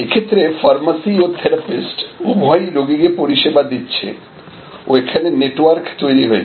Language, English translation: Bengali, So, there is a pharmacy is serving the patient and the therapist is also serving the patient and there is a network formation here